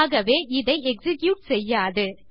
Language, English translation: Tamil, Therefore it wont execute this